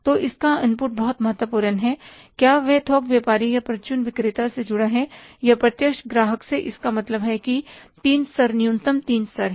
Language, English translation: Hindi, Whether he is connected to the wholesaler or retailer or the direct customer means there are the three levels minimum three levels